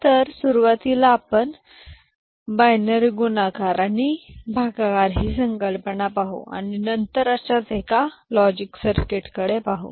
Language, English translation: Marathi, So, in the beginning we shall look at the concept of binary multiplication, and division and then we shall look at the a one such circuit logic circuit ok